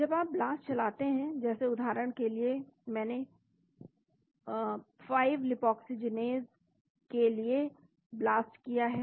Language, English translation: Hindi, When you run the BLAST for example, I run for 5 lipoxygenase Blast